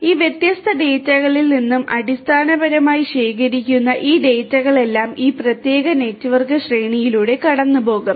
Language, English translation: Malayalam, All of these data basically that are collected from these different in devices will go through this particular network hierarchy